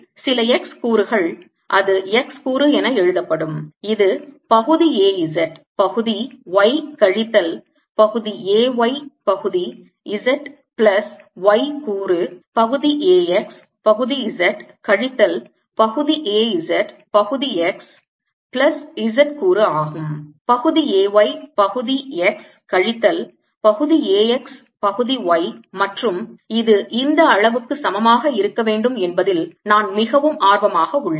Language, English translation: Tamil, that's why x component, which is partial a z, partial y, minus, partial a, y, partial, z plus y component, partial a, x, partial z minus partial a z, partial x plus z component, which i am really interested in, partial a, y, partial x minus, partial a, x, partial, and this should be equal to this quantity